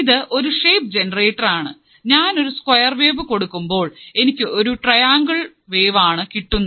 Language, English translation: Malayalam, So, it is a shape generator also, because if I apply a square wave I can obtain a triangle wave, I can obtain a triangle wave